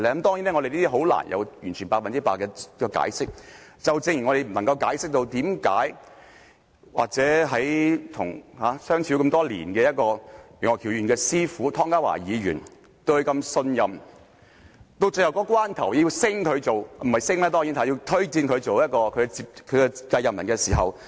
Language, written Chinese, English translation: Cantonese, 當然，我們難以就此獲得百分之百的解釋，正如我無法解釋為何楊岳橋議員與其師父湯家驊議員相處多年，師父曾對他如此信任，要推薦他做其繼任人，但到了投票的一刻也說不支持他。, It is indeed difficult for us to get a full explanation as I cannot explain why Mr Alvin YEUNGs mentor Ronny TONG would say he did not support Mr Alvin YEUNG when casting his vote after they have worked together for so many years and Ronny TONG has trusted Mr Alvin YEUNG so much as to recommend him to be his successor